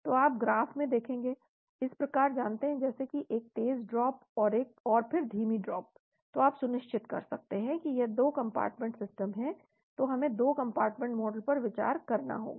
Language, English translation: Hindi, So you will see in the graph like this you know one fast drop and then slow drop, then you can be sure that there is 2 compartment system, so we need to consider a 2 compartment model